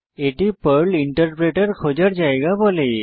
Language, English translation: Bengali, It tells where to find the Perl Interpreter